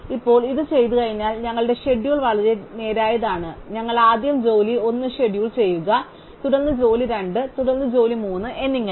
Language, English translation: Malayalam, Now, having done this our schedule is very straight forward, we just schedule job 1 first, then job 2, then job 3 and so on